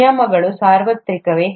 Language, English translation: Kannada, Are the rules universal